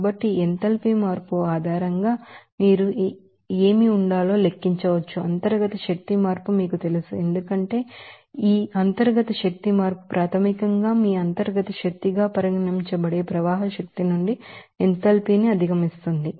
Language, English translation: Telugu, So, based on this enthalpy change you can calculate what should be the, you know internal energy change, because this internal energy change is basically that how much you know enthalpy is exceeded from this flow energy that will be regarded as your internal energy